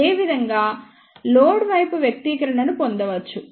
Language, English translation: Telugu, In the same way one can derive the expression for the load side